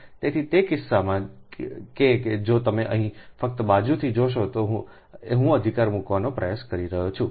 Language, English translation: Gujarati, so in that case, ah, that, if you see here, just side by side, i am trying to put right